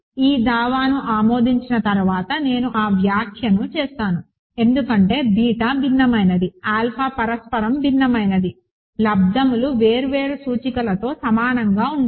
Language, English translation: Telugu, So, I will make that remark after approving this claim, because beta is a different, alpha is a mutually different, the products cannot equal for different indices